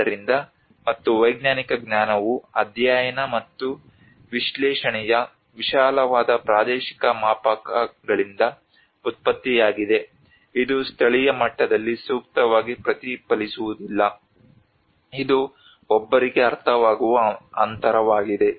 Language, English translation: Kannada, So and also there is a scientific knowledge which has been generated from a very vast spatial scales of study and analysis is often not reflected for appropriate considerations at local level, this is the gap one can understand